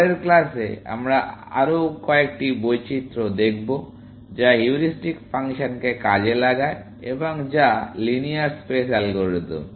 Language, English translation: Bengali, In the next class, we will look at another variation, which exploits the heuristic function, and which is also linear space algorithm